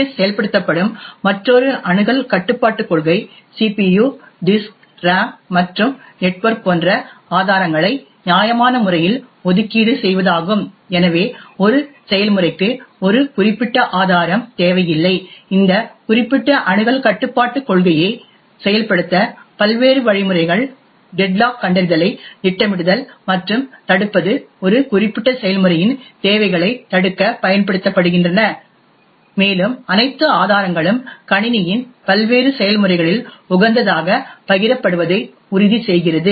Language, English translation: Tamil, Another access control policy which typical OS is implemented is the fair allocation of resources such as CPU, disk, RAM and network, so that one process is not starved of a particular resource, in order to implement this particular access control policy various mechanisms such as scheduling deadlock detection and prevention are used in order to prevent starvation of a particular process and ensure that all resources are optimally shared among the various processes in the system